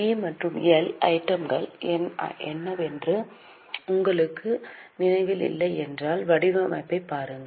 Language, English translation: Tamil, If you don't remember what are the items in P&L, just have a look at the format